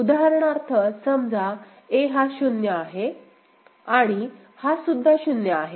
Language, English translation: Marathi, For example, say a this is 0, and this is also 0